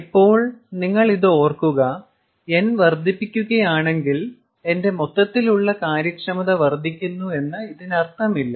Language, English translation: Malayalam, ok, now keep in mind it does not always mean that if you keep increasing n, my overall efficiency increases